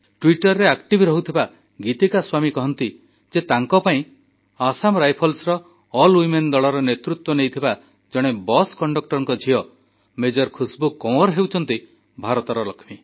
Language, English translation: Odia, Geetika Swami, who is active on Twitter, says that for her, Major Khushbu Kanwar, daughter of a bus conductor, who has led an all women contingent of Assam Rifles, is the Lakshmi of India